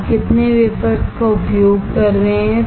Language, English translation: Hindi, How many wafers are you are using